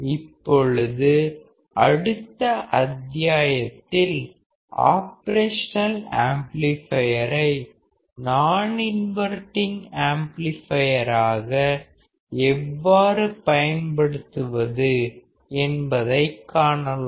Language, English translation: Tamil, Now, in the next module; let us see how we can use operation amplifier as the non inverting amplifier